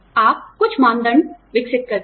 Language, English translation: Hindi, You develop some criteria